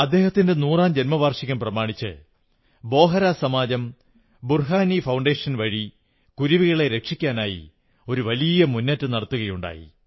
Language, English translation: Malayalam, As part of the celebration of his 100th year the Bohra community society had launched a huge campaign to save the sparrow under the aegis of Burhani Foundation